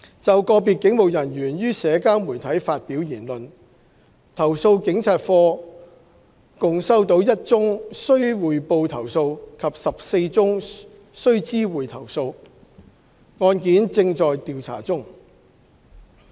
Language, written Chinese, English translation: Cantonese, 就個別警務人員於社交媒體發表言論，投訴警察課共收到1宗須匯報投訴及14宗須知會投訴，案件正在調查中。, With regard to statements made by individual police officers on social media the Complaints Against Police Office CAPO has received one reportable complaint and 14 notifiable complaints and the cases are under investigation